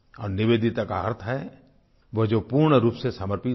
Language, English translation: Hindi, And Nivedita means the one who is fully dedicated